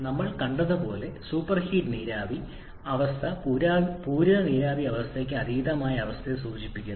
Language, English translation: Malayalam, As we have seen super heated vapor state refers to the state beyond the saturated vapor condition